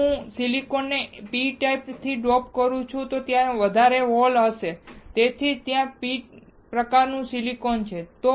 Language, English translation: Gujarati, If I dope the silicon with p type then there will be excess hole and that is why it is a p type silicon